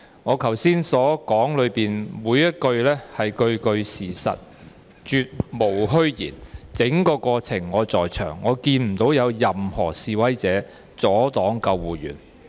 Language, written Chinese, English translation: Cantonese, 我剛才發言的每一句話都是事實，絕無虛言，整個過程我也在場，我看不到有任何示威者阻礙救護員。, Every word I said in my speech was true and nothing but the truth . I was present throughout the incident and I did not see any protesters blocking ambulancemen